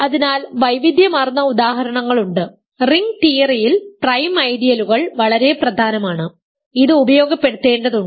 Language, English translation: Malayalam, So, there are a wide variety of examples, prime ideals are very important in ring theory, one needs to get used to this